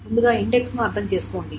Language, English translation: Telugu, First of all, understand that the index